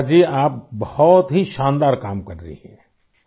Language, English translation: Urdu, Shirisha ji you are doing a wonderful work